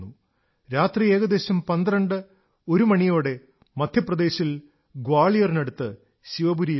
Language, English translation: Malayalam, Past midnight, around 12 or 1, we reached Shivpuri, near Gwalior in Madhya Pradesh